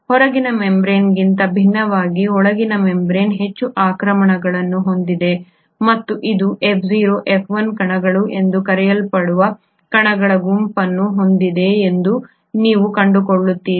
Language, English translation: Kannada, You find that the inner membrane unlike the outer membrane has far more invaginations and it is studded with a set of particles which is called as the F0, F1 particles